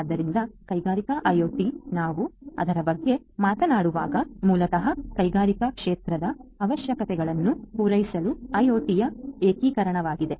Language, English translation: Kannada, So, industrial IoT, when we talk about it is basically an integration of IoT to cater to the requirements of the industrial sector